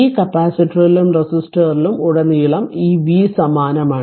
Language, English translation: Malayalam, This v is across the same this capacitor as well as the resistor